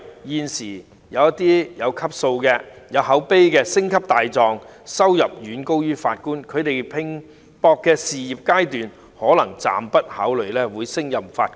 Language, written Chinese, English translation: Cantonese, 現時，那些有級數、有口碑的"星級大狀"的收入遠高於法官，他們在拼搏的事業階段可能暫時不會考慮擔任法官。, At present the most distinguished barristers with good reputation have much higher earnings than judges it is therefore unlikely for them to consider becoming judges when they are still fighting to bring their career to peak